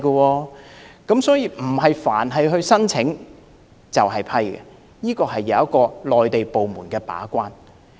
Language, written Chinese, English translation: Cantonese, 換言之，並非所有申請皆會獲批，內地部門會把關。, In other words not all the applications will be approved and Mainland departments will play the gate - keeping role